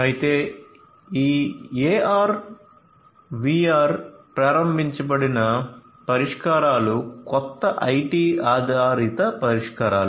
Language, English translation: Telugu, However this AR/VR enabled solutions, these are new IT based solutions